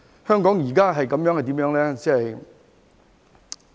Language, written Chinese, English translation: Cantonese, 香港現在是怎樣呢？, What is the situation in Hong Kong now?